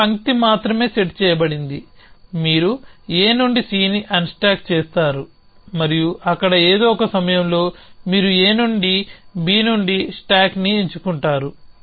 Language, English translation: Telugu, So, the only thing set is 1 line is at you unstack C from A and there at some point you pick up A an stack an to B